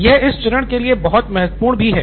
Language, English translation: Hindi, So that is very important for this stage